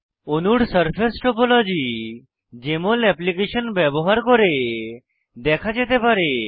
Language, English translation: Bengali, Surface topology of the molecules can be displayed by using Jmol Application